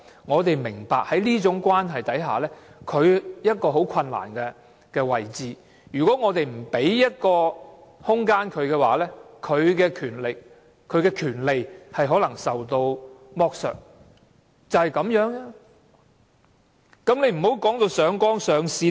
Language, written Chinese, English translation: Cantonese, 我們明白在這種關係下，同性伴侶處於一個很困難的位置，如果我們不為他們提供保障，他們的權利可能受到剝削，就是這樣的意思。, We understand that in such kind of relationships same - sex partners are put in a very difficult position . If we do not accord them protection they may be deprived of their rights . This is what it is all about